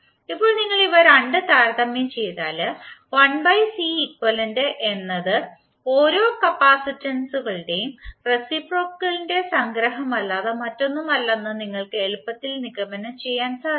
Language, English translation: Malayalam, Now if you compare these two, you will easily conclude that 1 upon c equivalent is nothing but the summation of the reciprocal of individual capacitances